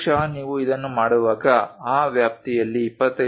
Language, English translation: Kannada, Perhaps when you are making this is ranging from 25